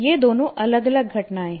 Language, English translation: Hindi, These two are different phenomena